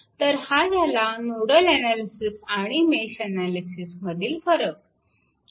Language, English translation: Marathi, So, this is the difference between nodal and your what you call mesh analysis